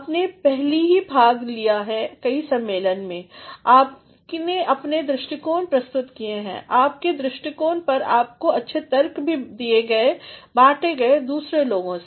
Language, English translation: Hindi, You have already participated in several conferences, you have presented your views, your views have been argued well by yourself also have been shared with others